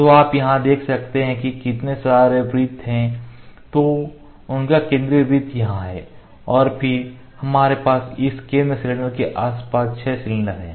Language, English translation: Hindi, So, you can see their number of circles here, their central circle here central cylinder here; we have circles here ok